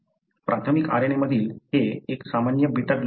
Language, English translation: Marathi, This is a normal beta globin gene in a primary RNA